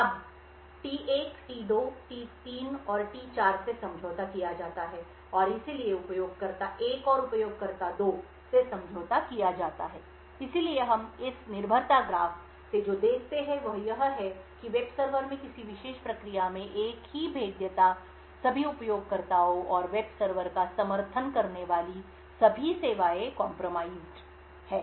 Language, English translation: Hindi, Now the states T1, T2, T3 and T4 are compromised and therefore the user 1 and user 2 are compromised, so what we see from this dependency graph is that a single vulnerability in a particular process in the web server can compromise all users and all services that that web server supports